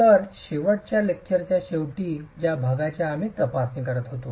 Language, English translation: Marathi, So, that's the part that we were examining at the end of our last lecture